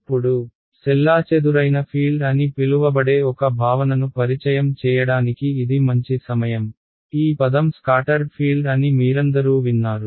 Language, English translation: Telugu, Now, this is a good time to introduce one concept there is quantity called as the scatter field you all heard this word scattered field